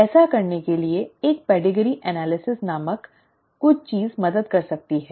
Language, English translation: Hindi, To do this, something called a pedigree analysis can help